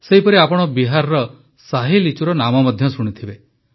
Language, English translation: Odia, Similarly, you must have also heard the name of the Shahi Litchi of Bihar